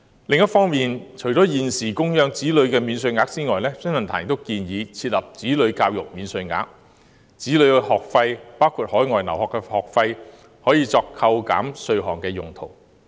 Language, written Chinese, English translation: Cantonese, 另一方面，除了現有的供養子女免稅額外，新世紀論壇亦建議設立"子女教育免稅額"，讓子女的學費包括海外留學的學費可作扣稅用途。, On the other hand in addition to the existing child allowance the New Century Forum also proposed the introduction of a child education allowance so that childrens tuition fees including tuition fees for overseas study can be tax deductible